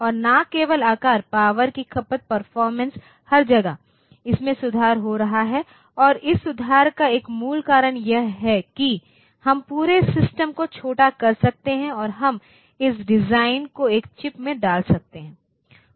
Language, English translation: Hindi, And not only size the power consumption performance everywhere it is improving and one basic reason for this improvement is that we could miniaturized the whole system and we could put this the design into a single chip